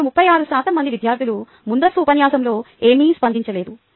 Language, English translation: Telugu, now, thirty four percent students didnt respond anything right in the pre lecture